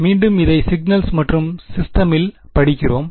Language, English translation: Tamil, Again we study this in signals and systems